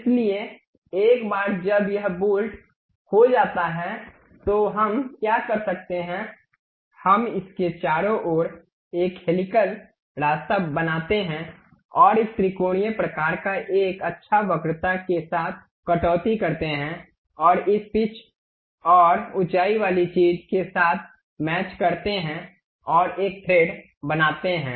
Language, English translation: Hindi, So, once this bolt is done what we can do is we make a helical path around this and a triangular kind of cut with a nice curvature and pass with match with this pitch and height thing and make a thread out of it